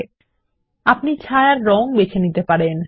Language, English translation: Bengali, You can choose the colour of the border and the shadow as well